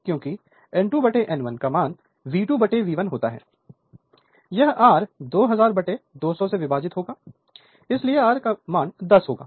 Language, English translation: Hindi, So, that because N 2 by N 1 is equal to V 2 by V 1 say so, this will be your 2000 divided by 200 so, it will be your 10 right